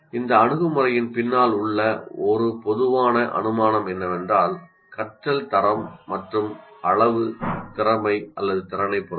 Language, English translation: Tamil, And a common assumption behind this approach is that learning quality and quantity depend on talent or ability